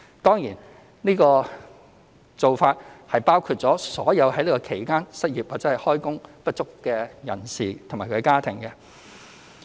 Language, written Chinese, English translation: Cantonese, 當然這個做法包括了所有在此期間失業或開工不足的人士及其家庭。, This measure of course covers all those who were unemployed or underemployed during the said period and their families